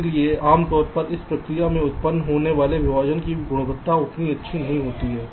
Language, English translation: Hindi, so usually the quality of the partitions that are generated in this process is not so good